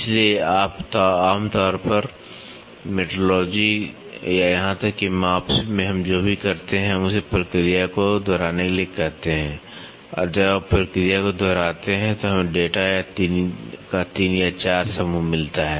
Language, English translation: Hindi, So, generally in metrology or in even measurements any measurements what we do is we asked him to repeat the process and when you repeat the process we get 3 or 4 set of data